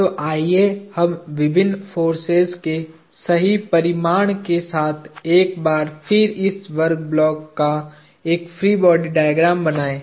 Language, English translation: Hindi, So, let us draw a free body diagram of this square block once more with the correct magnitudes of the various forces